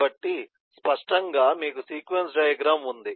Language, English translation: Telugu, so clearly you have a sequence diagram